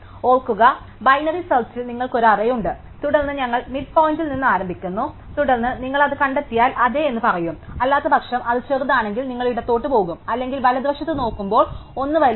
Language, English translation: Malayalam, Remember, in binary search you have an array and then we start at the midpoint and then if you find it you say yes; otherwise, if it is smaller you go and to left; otherwise, one is bigger we look at the right